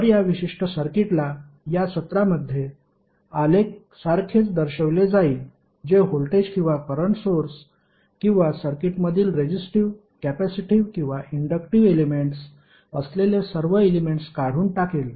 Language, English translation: Marathi, So this particular circuit will be equally represented as a graph in this session which will remove all the elements there may the sources that may be the voltage or current sources or the resistive, capacitive or inductive elements in the circuit